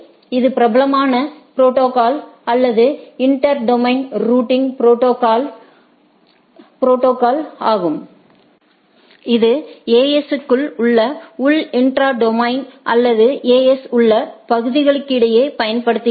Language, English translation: Tamil, It is the popular protocol or inter domain routing protocol, which is used in as for intra domain routing in the in within the AS or a with in the areas in the AS right